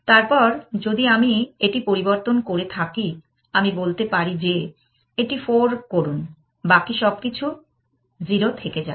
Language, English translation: Bengali, Then if I have changed this one, I could say that make this 4, everything else remains 0